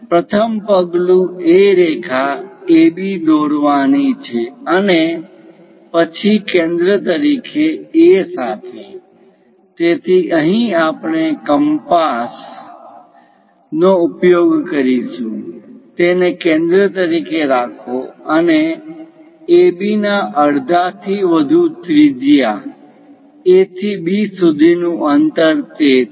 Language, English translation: Gujarati, The first step is draw a line AB and then with A as centre; so here we are going to use our compass; keep it as a centre and radius greater than half of AB; the distance from A to B is that